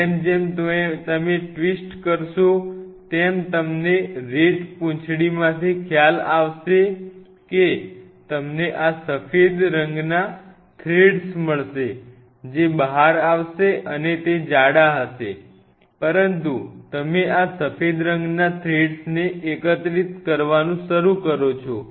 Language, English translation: Gujarati, As you will twist it you will realize from the RAT tail you will get this white color threads, which will be coming out and that reasonably thick, but you know and you start collecting those threads something like this white color threads